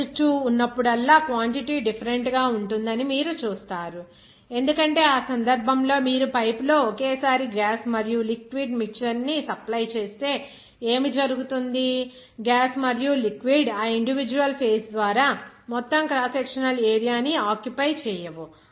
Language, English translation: Telugu, But you will see that whenever 2 phase will be there, then the quantity will be different because in that case, you will see that if you supply the gas and liquid mixture simultaneously in the same pipe, what will happen, gas and liquid will not occupy whole cross sectional area by that individual phase